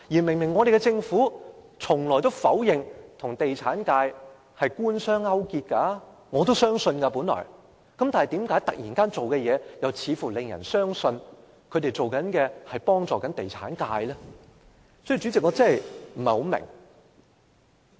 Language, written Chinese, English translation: Cantonese, 另一方面，政府明明一向否認與地產界官商勾結——我本來也相信——為何政府突然有此行動，令人相信他們偏幫地產界？, On the other hand the Government has all along denied colluding with the property sector―I originally believed so―how come it suddenly takes this action causing people to think that the Government is biased towards the property sector?